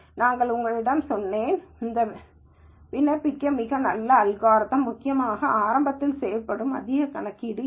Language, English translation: Tamil, So, I told you that while this is a very nice algorithm to apply, because there is not much computation that is done at the beginning itself